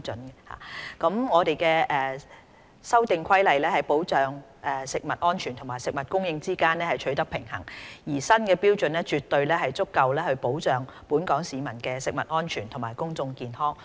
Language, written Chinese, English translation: Cantonese, 《2018年食物攙雜規例》在保障食物安全和食物供應之間取得平衡，而新標準絕對足夠保障本港市民的食物安全和公眾健康。, The Food Adulteration Regulations strike a balance between safeguarding food safety and food supply and there is no question that the new standards will adequately safeguard Hong Kong peoples food safety and public health